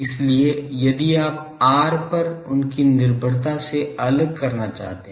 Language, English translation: Hindi, So, if you want to apart from their dependence on r